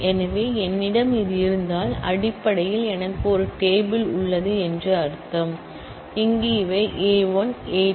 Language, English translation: Tamil, So, if I have this, then it basically means that I have a table, where these are the columns A 1 A 2 A n like this